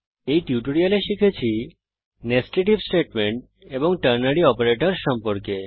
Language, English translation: Bengali, By the end of this tutorial you should be able to: Explain Nested If Statements and Ternary operators